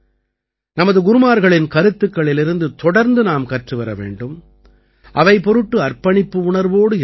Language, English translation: Tamil, We have to continuously learn from the teachings of our Gurus and remain devoted to them